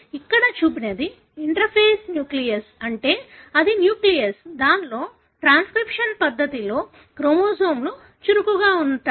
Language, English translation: Telugu, What is shown here is an interface nucleus, meaning this is a nucleus, wherein the chromosomes are active in the process of transcription